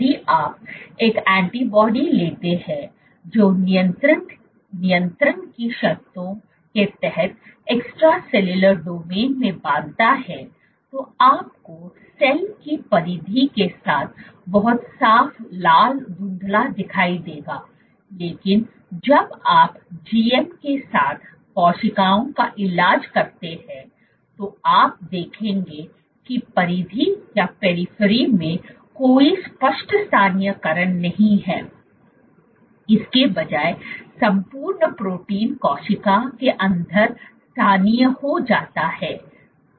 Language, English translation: Hindi, If you take an antibody which binds to the extracellular domains under control conditions you would see a very clean red staining along the periphery of the cell, but when you treat cells with GM you would see that in the periphery there is no clear localization, instead the entire protein gets localized inside the cell suggesting